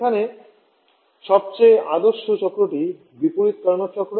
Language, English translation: Bengali, The most ideal cycle there, is the reverse Carnot cycle